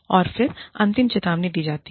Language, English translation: Hindi, And then, there is a final warning